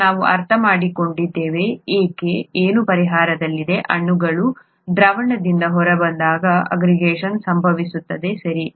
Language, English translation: Kannada, Now that, now that we understand why something is in solution, aggregation happens when molecules fall out of solution, okay